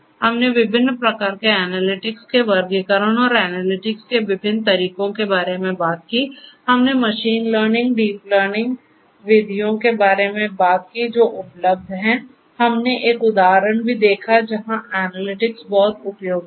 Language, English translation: Hindi, We talked about the classification of different types of analytics and the different methodologies for analytics; we talked about machine learning, deep learning methods and that are available; we also saw an example where analytics would be very much useful